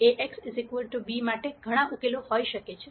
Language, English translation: Gujarati, There could be many solutions for A x equal to b